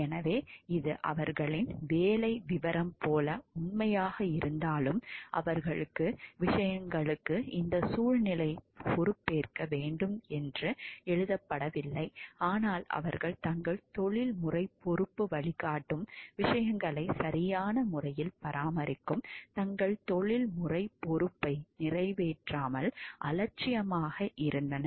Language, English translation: Tamil, So, even though it may be true like their job description it was not written to be responsible about this environment to things, but it they were negligent in not carrying out their professional responsibility of maintaining things in a proper way which their professional responsibility guides